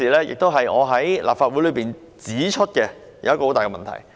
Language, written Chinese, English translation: Cantonese, 這亦是我在立法會指出的一個很大的問題。, This is also an important issue that I have pointed out in the Legislative Council